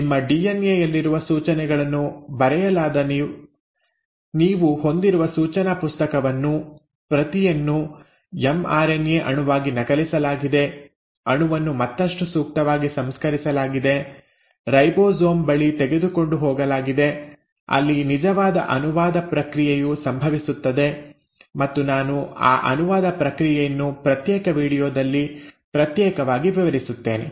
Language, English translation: Kannada, So now you have; whatever was written, the instructions which are written in the instruction book which is your DNA; has been, the script has been copied into an mRNA molecule, the molecule has been appropriately processed to further take it out to the ribosome where the actual process of translation will happen, and I will cover that process of translation separately in a separate video